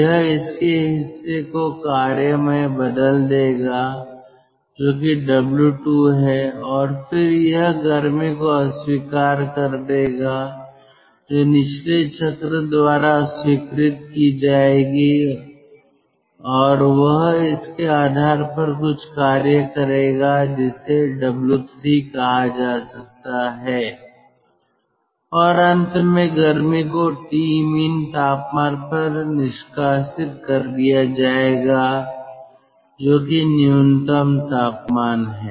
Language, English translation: Hindi, it will convert part of it into work, that is w two, and then it will reject heat which will be accepted, taken by the bottoming cycle, and it will create some amount of work, which is w three, and then, ultimately, heat will be dumped to t min, the minimum temperature